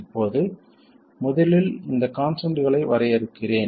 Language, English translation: Tamil, Now first let me define these constants